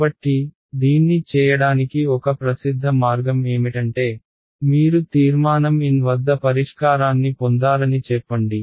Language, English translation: Telugu, So, one popular way of doing it is that you take your so let us say your solution that you got at resolution N